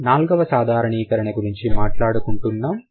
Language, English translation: Telugu, So, um, we were talking about the fourth, the fourth generalization